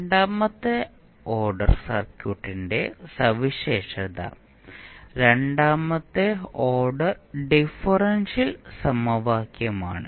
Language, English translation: Malayalam, So, second order circuit is characterized by the second order differential equation